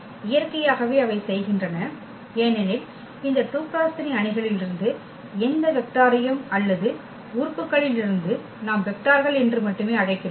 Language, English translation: Tamil, So, naturally they do because if we consider any vector any matrix from this 2 by 3 matrices or the elements we call vectors only